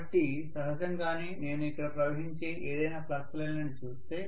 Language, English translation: Telugu, So naturally if I look at any flux lines that are probably going to flow here, right